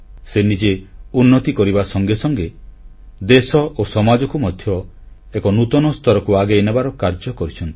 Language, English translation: Odia, Not only has she advanced herself but has carried forward the country and society to newer heights